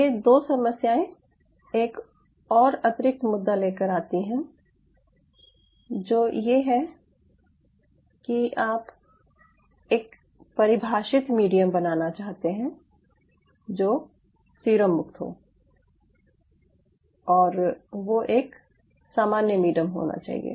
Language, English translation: Hindi, so these two problem comes with another additional issue: that you wanted to have a defined medium which is a serum free and it should be a common medium